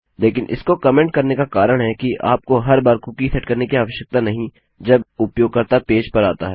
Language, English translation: Hindi, But the reason I have commented this is because you dont need to set a cookie every time the user comes into the page